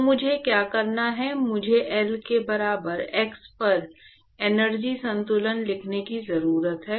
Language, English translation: Hindi, So, what I need to do is, I need to write an energy balance at x equal to L